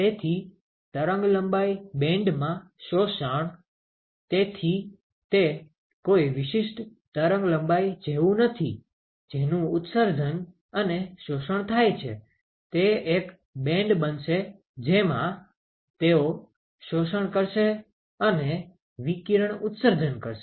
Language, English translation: Gujarati, So, the absorb in wavelength band; so it is not like a specific wavelength at which, the emission and absorption is going to occur it is going to be a band in which, they are going to absorb and emit radiation ok